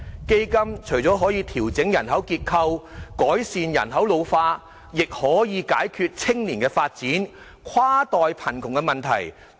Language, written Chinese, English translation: Cantonese, 基金除了可以調整人口結構，改善人口老化，亦可以解決青年發展、跨代貧窮的問題。, In addition to adjusting the demographic structure and alleviating population ageing the fund can also address such issues as youth development and cross - generational poverty